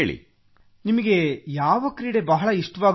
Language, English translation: Kannada, Which sport do you like best sir